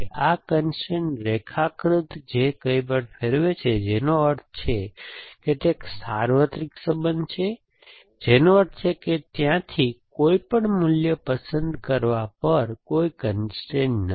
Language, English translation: Gujarati, This constraint diagram which turns anything about, which means it is a universal relation which means there is no constraint, on choosing any value from there